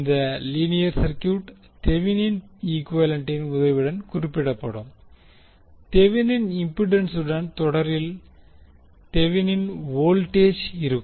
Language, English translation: Tamil, This linear circuit will be represented with the help of Thevenin equivalent, we will have Thevenin voltage in series with Thevenin impedance